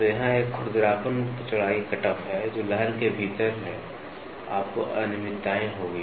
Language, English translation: Hindi, So, here is a roughness width cutoff, which is within the wave you will have irregularities